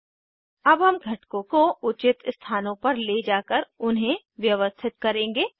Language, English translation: Hindi, Now we will arrange the components, by moving them to appropriate places